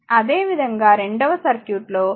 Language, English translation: Telugu, Similarly, that second circuit that there G is your 0